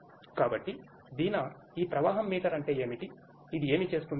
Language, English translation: Telugu, So, Deena what is this flow meter all about; what does it do